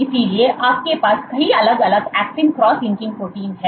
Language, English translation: Hindi, So, you have several different actin cross linking proteins